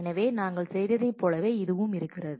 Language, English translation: Tamil, So, it is exactly same to what we did